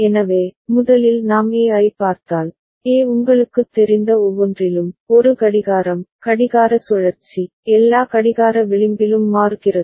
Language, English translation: Tamil, So, first if we look at A, A is toggling at every you know, a clocking, clock cycle, at all clock edge